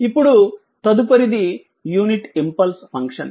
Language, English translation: Telugu, Now, next is that unit impulse function, right